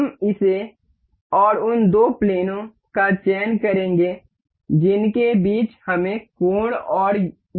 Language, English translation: Hindi, We will select this and the two planes that we need angle between with is this and this plane